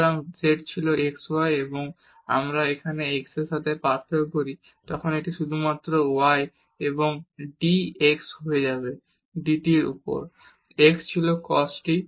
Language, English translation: Bengali, So, z was x y and when we differentiate here with respect to x then this will become only y and dx over dt so, x was cos t